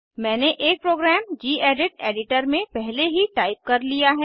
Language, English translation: Hindi, I have already typed a program in the gedit editor